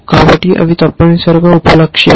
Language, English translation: Telugu, So, those are the sub goals essentially